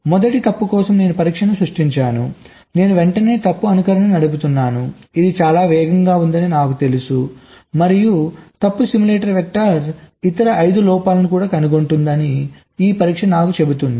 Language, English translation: Telugu, or i generated test for the first fault, i immediately run fault simulation, which i know is much faster, and fault simulator tells me that this test vector also detects five other faults